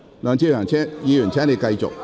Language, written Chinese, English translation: Cantonese, 梁志祥議員，請你繼續提問。, Mr LEUNG Che - cheung please continue with your question